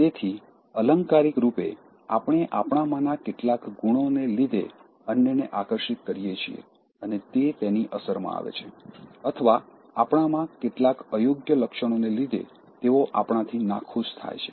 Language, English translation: Gujarati, So, figuratively also, we attract others due to certain qualities in us and they get rippled, okay, or they feel rippled from us due to sudden unlikeable traits in us